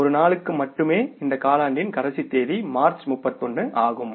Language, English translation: Tamil, Maybe last day of this quarter is 31st March, right